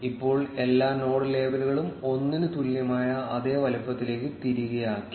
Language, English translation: Malayalam, Now we have all the node labels back to the same size which is equal to 1